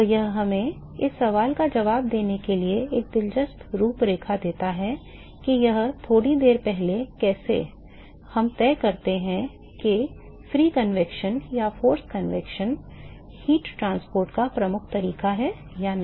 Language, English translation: Hindi, So, that gives us I mean an interesting framework to answer the question that it force a short while ago how we decide whether the free convection or the force convection is the dominating mode of heat transport